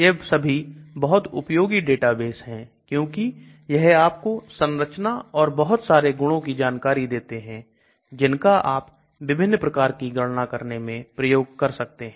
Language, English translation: Hindi, All these are very useful databases because it gives you structures and lot of properties which you can make use of for doing different types of calculations